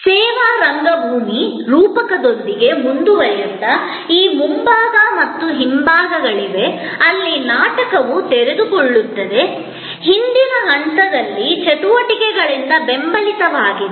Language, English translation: Kannada, Continuing with the service theater metaphor, that there are these facility wise front and back, where the drama unfolds, supported by activities at the back stage